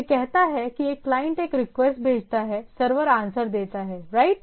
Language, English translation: Hindi, It says a client sends a request, server returns a reply right